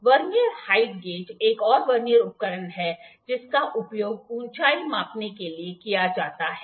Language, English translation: Hindi, Vernier height gauge is another Vernier instrument which is used to measure the height